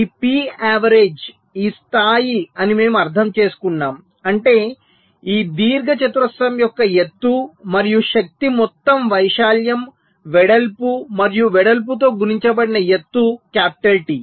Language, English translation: Telugu, that means the height of this rectangle, and energy is the total area, height multiplied by the width, and width is capital t